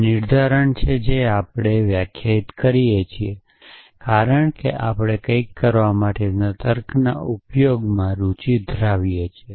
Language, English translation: Gujarati, So, this is the semantics we define, because we are interested in a using logic for doing something